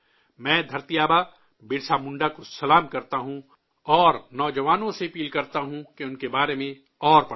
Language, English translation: Urdu, I bow to 'Dharti Aaba' Birsa Munda and urge the youth to read more about him